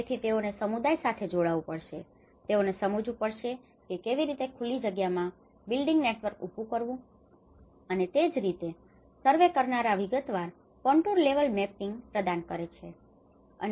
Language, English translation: Gujarati, So, they have to engage with the community, they have to understand how the open and build spaces have been networked and similarly the surveyors provide a detailed contour level mapping